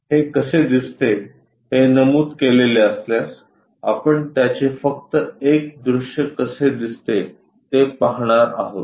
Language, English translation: Marathi, If it is mentioned how it looks like, we are going to see only one view how it looks like